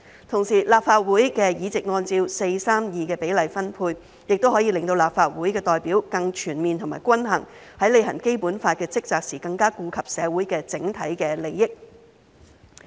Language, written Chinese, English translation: Cantonese, 同時，立法會的議席按照 4：3：2 的比例分配，亦可以令立法會的代表更全面和均衡，在履行《基本法》的職責時更加顧及社會的整體利益。, At the same time the 4col32 ratio for the distribution of seats in the Legislative Council will enable a more comprehensive and balanced representation in the Legislative Council and enable the Council to better consider the overall interests of the community in discharging its responsibilities under the Basic Law